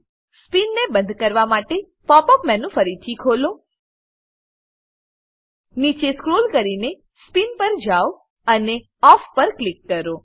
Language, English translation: Gujarati, To turn off the spin, Open the Pop up menu again, Scroll down to Spin and click on Off